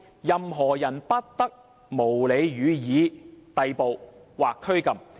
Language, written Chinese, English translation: Cantonese, 任何人不得無理予以逮捕或拘禁。, No one shall be subjected to arbitrary arrest or detention